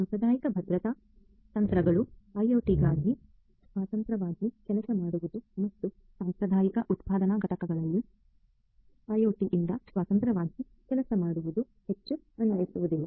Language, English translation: Kannada, Traditional security techniques working independently for IT and working independently of OT in the traditional manufacturing plants are no more applicable